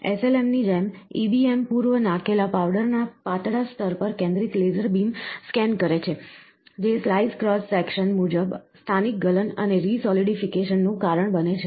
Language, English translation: Gujarati, Similar to SLM, the EBM process a focused laser beam scans across a thin layer of pre laid powder, causing localized melting and resolidification as per the slice cross section